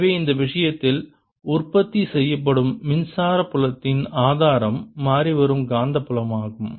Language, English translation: Tamil, so in this case is a source of electric field that is produced is the changing magnetic field and the curl e is zero